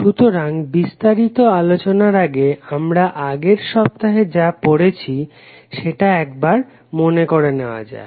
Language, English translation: Bengali, So before going into the details let us try to understand what we learn in the previous week